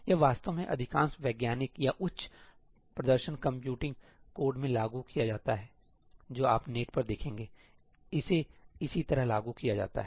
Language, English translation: Hindi, That is how it is actually implemented in most scientific or high performance computing codes that you will see on the Net; this is how it is implemented